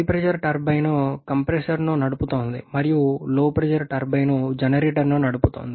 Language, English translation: Telugu, The HP turbine is driving the compressor and LP turbine is driving the generator